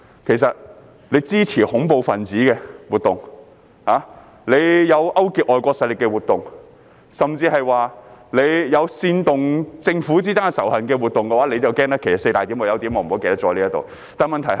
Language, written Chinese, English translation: Cantonese, 其實，那些支持恐怖分子活動的，有勾結外國勢力活動的，甚至有煽動政府之間仇恨的活動，他們就要害怕——其實有4點的，但我忘記了其中一點。, Actually for those who support terrorist activities participate in activities involving collusion with foreign forces and promote hatred among governments they should be scared―there should be four points but I forget one of them